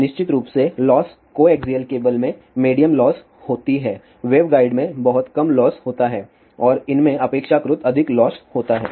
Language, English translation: Hindi, So, of course, loss coaxial cable has medium loss, waveguide has very low loss and these have relatively higher losses